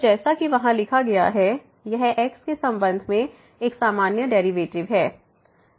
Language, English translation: Hindi, So, as written there it is a usual derivative with respect to